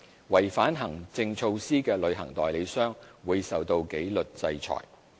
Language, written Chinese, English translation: Cantonese, 違反行政措施的旅行代理商，會受到紀律制裁。, Any travel agent that contravenes any of the administrative measures will be subject to disciplinary orders